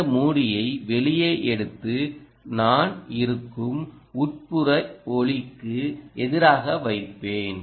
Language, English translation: Tamil, i will take this out, ah, this lid, and i will place it against the indoor light